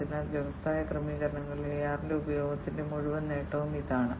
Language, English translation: Malayalam, So, this is the whole advantage of the use of AR, in industry settings